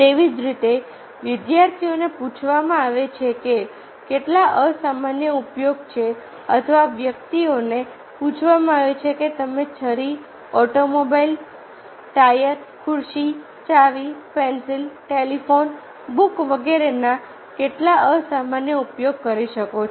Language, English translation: Gujarati, so, similarly, students are asked how many unusual use uses for the persons, are asked how many unusual uses you can make up the knife, automobile tire, chair, key, pencil, telephone book and so on